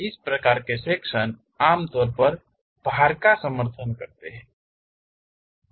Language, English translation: Hindi, These kind of sections usually supports loads